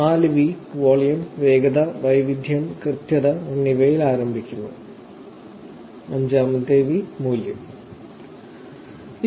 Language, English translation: Malayalam, So, the 4 Vs to start with the volume, velocity, variety, veracity and the 5th V is value